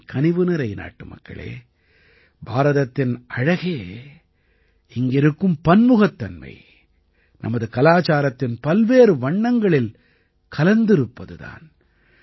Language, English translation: Tamil, My dear countrymen, the beauty of India lies in her diversity and also in the different hues of our culture